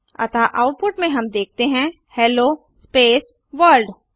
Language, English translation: Hindi, So in the output we see Hello space World